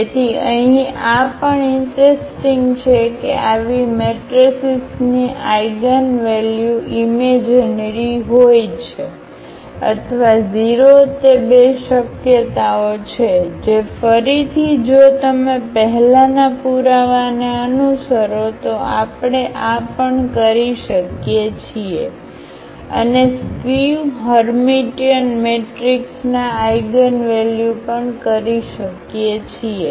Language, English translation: Gujarati, So, this is also interesting here that eigenvalues of such matrices are either purely imaginary or 0 that is the two possibilities, which again if you follow the earlier proof we can also do this one and the eigenvalues of the a skew Hermitian matrix